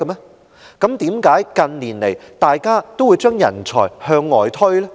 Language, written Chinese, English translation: Cantonese, 但怎麼近年來，大家都把人才向外推？, How come we have been driving our talents away in recent years?